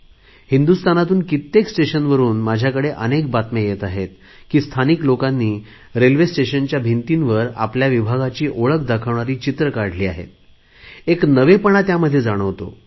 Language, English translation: Marathi, I am receiving news from many railway stations in the country where the local populace has taken to depicting on the walls of the railway stations, their area's identity, through means of their arts